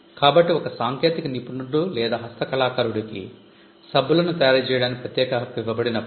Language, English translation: Telugu, So, when a technician or a craftsman was given an exclusive privilege to manufacture soaps for instance